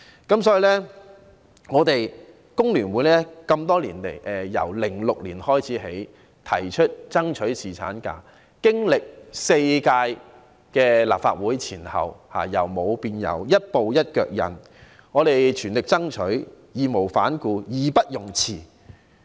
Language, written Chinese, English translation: Cantonese, 因此多年來，工聯會自2006年開始提出爭取侍產假，前後經歷4屆立法會，在由無到有的過程中，一步一腳印，全力爭取、義無反顧、義不容辭。, Therefore over the years FTU has been proposing the fight for paternity leave since 2006 . All from scratch the course of the fight straddled four legislative sessions during which we taking one step at a time made an all - out effort without glancing back nor shying away as a shirker